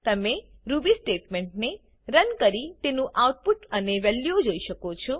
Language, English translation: Gujarati, You can run Ruby statements and examine the output and return values